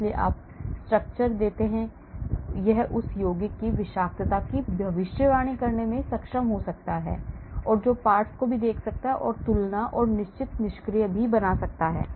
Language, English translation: Hindi, so you give a structure, it may able to predict the toxicity of that compound and also look at the fragments and also make comparison and certain conclusions